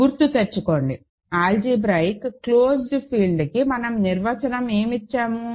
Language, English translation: Telugu, Remember, what is our definition of an algebraically closed field